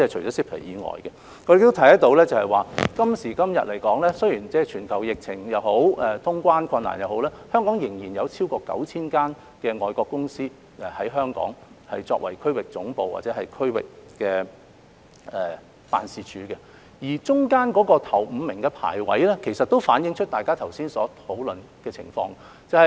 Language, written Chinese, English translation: Cantonese, 我們亦可以看到，雖然今時今日面對全球疫情或通關困難也好，香港仍有超過 9,000 間外國公司以香港作為區域總部或區域辦事處，當中首5位的排名也反映大家剛才所討論的情況。, As we can see despite the global epidemic situation and difficulties in resuming traveller clearance there are still over 9 000 overseas companies setting up their regional headquarters or regional offices in Hong Kong and the top five overseas companies have reflected the situation discussed by Members earlier